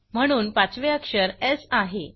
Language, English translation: Marathi, Therefore, the 5th character is S